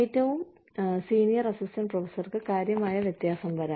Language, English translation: Malayalam, The senior most assistant professor could be earning significantly different